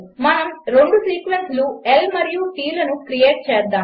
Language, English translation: Telugu, Lets create two sequences L and t